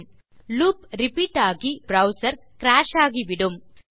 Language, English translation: Tamil, So since the loop will always be repeated, your browser will crash